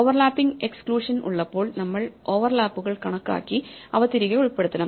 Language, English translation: Malayalam, So, when we have these overlapping exclusions, then we have to count the overlaps and include them back